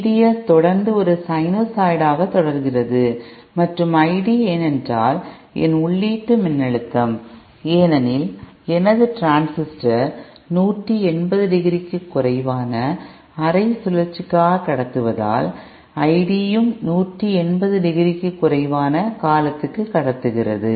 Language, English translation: Tamil, V D S continues to remain a sinusoid and my I DÉ because my input voltageÉ because my transistor is conducting for less than half cycle less than 180 degree, the I D is also conducting for a time period which is less than 180 degree